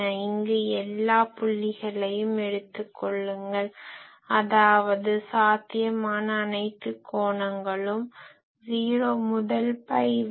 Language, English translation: Tamil, Here you take all the points; so, all possible angles 0 to pi